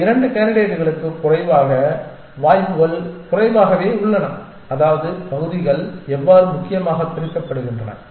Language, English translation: Tamil, And these 2 candidates have little less chances essentially that is how the areas are divided essentially